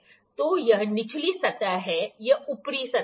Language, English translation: Hindi, So, this is the low surface, this is upper surface